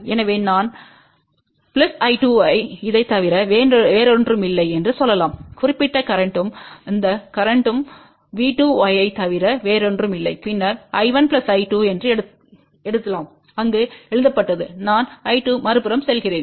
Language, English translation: Tamil, So, we can say that I 1 plus I 2 will be nothing but this particular current and that current will be nothing but V 2 times Y and then we can write I 1 plus I 2 was written there I 2 goes to the other side